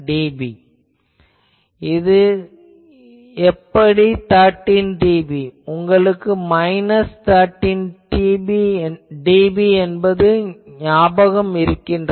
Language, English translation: Tamil, Now, you can here you can assume how this 13 dB; do you remember this minus 13 dB thing